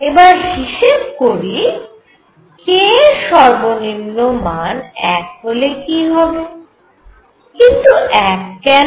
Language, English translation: Bengali, So, let us now enumerate if I have k minimum was equal to 1, why